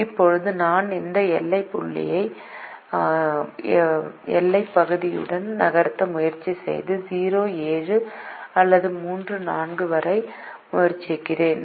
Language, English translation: Tamil, now i can try and move this boundary point along the boundary region and try to come to either zero comma seven or three comma four